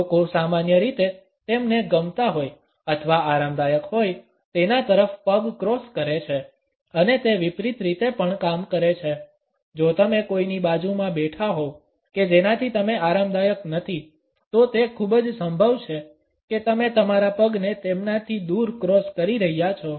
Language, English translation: Gujarati, People usually cross a leg towards someone they like or are comfortable with and it also works the opposite way; if you are sitting beside somebody that you are not comfortable with; it is pretty likely you are going to cross your leg away from them